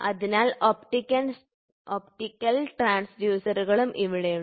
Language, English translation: Malayalam, So, there are optical transducers also there